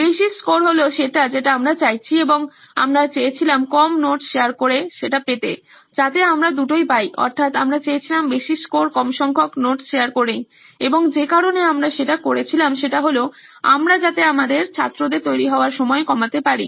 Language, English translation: Bengali, High scores is what we would desire and we wanted with less sharing of notes as the, so we want both of this, we want high scores with less sharing of notes and the reason we did that was so that we can reduce the time of preparation for our students